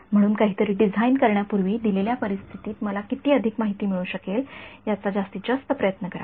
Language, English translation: Marathi, So, before designing something try to maximize how much information I can get in a given scenario